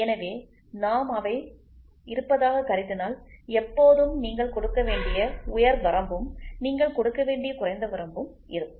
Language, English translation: Tamil, So, those things when we try to take into existence there is always an upper limit which you have to give and a lower limit which you have to give